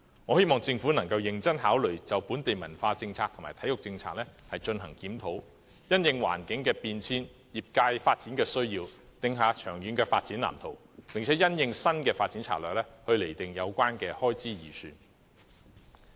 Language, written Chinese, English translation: Cantonese, 我希望政府能認真考慮就本地文化政策和體育政策進行檢討，因應環境變遷和業界發展需要，訂下長遠發展藍圖，並因應新發展策略，釐定相關開支預算。, I hope the Government can seriously consider conducting a review of the local culture and sports policies devising a long - term development blueprint in response to changes in the environment and development needs of the sectors and making the relevant estimates of expenditure dovetail with the new development strategy